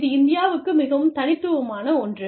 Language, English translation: Tamil, This is something, that is very unique to India